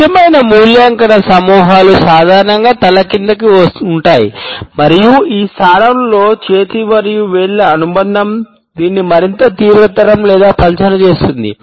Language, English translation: Telugu, Critical evaluation clusters are normally made with the head down and we find that the association of hand and fingers with this position either further aggravates or dilutes these stands